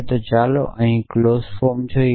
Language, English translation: Gujarati, So, let us look at the clause form here